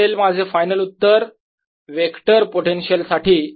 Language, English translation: Marathi, this is my final answer for the vector potential